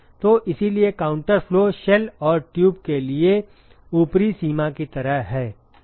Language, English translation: Hindi, So, that is why counter flow is like the upper limit for shell and tube